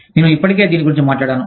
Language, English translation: Telugu, I have already talked about this